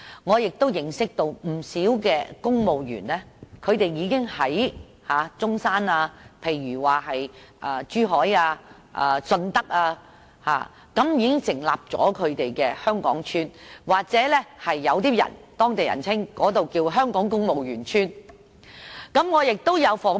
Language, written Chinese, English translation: Cantonese, 我認識了不少公務員，他們已經在中山、珠海和順德成立"香港邨"，有當地人更稱之為"香港公務員邨"。, I have come to know many civil servants who have already set up Hong Kong housing estates in Zhongshan Zhuhai and Shunde . Some local people even call them housing estates for Hong Kong civil servants